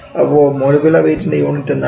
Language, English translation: Malayalam, And what is the unit of molecular weight